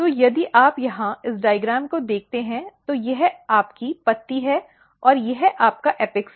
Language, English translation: Hindi, So, if you look here this diagram, so this is your leaf and this is your apex